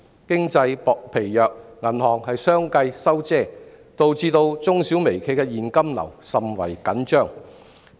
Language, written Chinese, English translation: Cantonese, 經濟疲弱，銀行相繼"收遮"，導致中小微企的現金流甚為緊張。, These enterprises now face a serious credit crunch as banks successively turn off the tap at signs of economic sluggishness